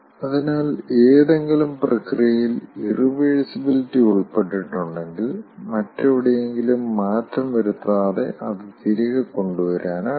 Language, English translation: Malayalam, so if in any process, if irreversibility is involved, it cannot be reverted back without making making any change elsewhere